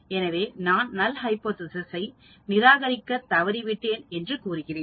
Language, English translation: Tamil, So I say I fail to reject the null hypothesis